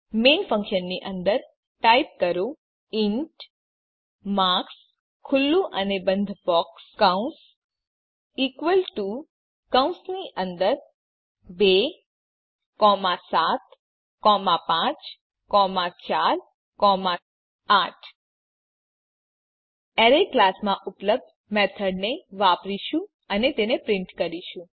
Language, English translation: Gujarati, Inside the main function,type int marks open and close square brackets equal to within brackets 2, 7, 5, 4, 8 Now we shall use a method available in the Arrays class to get a string representation of the array and print it